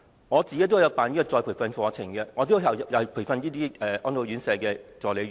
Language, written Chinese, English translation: Cantonese, 我自己也曾開辦再培訓課程，對象包括安老院舍護理員。, I used to organize retraining courses the target for which included RCHE care workers